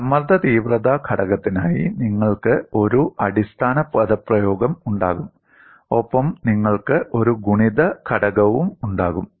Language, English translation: Malayalam, You will have a basic expression for stress intensity factor, and you will have a multiplying factor